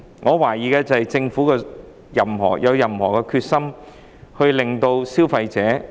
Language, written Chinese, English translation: Cantonese, 我懷疑的是，政府是否有決心保障消費者？, What I doubt is whether the Government is determined to protect consumers